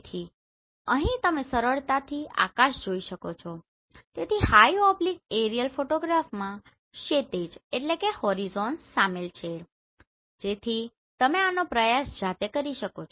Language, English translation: Gujarati, So here you can easily find sky so horizons are included in high oblique aerial photograph so you can try this your own